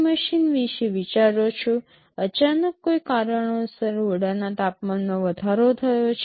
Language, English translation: Gujarati, You think of ac machine, suddenly due to some reason the temperature of the room has gone up